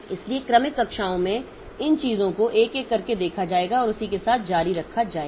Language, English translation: Hindi, So, in successive classes so we'll be looking into this thing one by one and continue with that